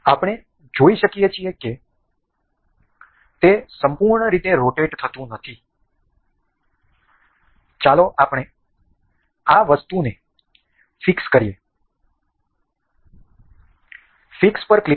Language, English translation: Gujarati, We can see it has a it cannot rotate fully, let us just fix this item ok; click on fix